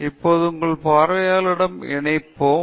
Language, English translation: Tamil, So, we will now look at connecting with your audience